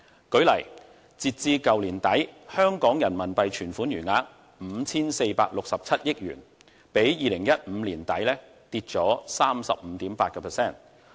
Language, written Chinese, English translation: Cantonese, 舉例而言，截至去年年底，香港人民幣存款餘額為 5,467 億元，比2015年年底下跌 35.8%。, For example as at the end of last year the amount of RMB deposits in Hong Kong was 546.7 billion a decline of 35.8 % compared with the figure at the end of 2015